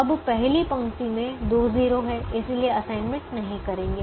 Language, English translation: Hindi, the first row has two zeros, therefore don't make an assignment